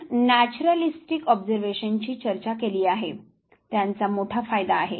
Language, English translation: Marathi, Naturalistic observation we discussed it has a big advantage